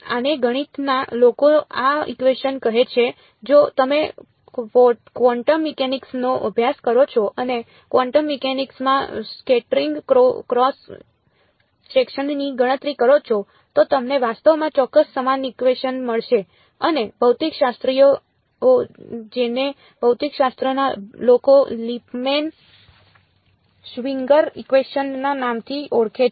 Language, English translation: Gujarati, This is what the math people call this equation if you study quantum mechanics and calculate scattering cross sections in quantum mechanics you get actually the exact same equation and the physicists the physics people call it by the name Lipmann Schwinger equation